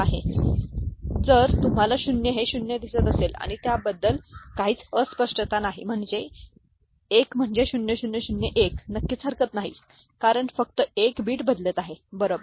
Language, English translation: Marathi, Now, corresponding gray code if you see 0 is 0, right there is no ambiguity about that, 1 is 0 0 0 1 absolutely no issue because only 1 bit is changing, right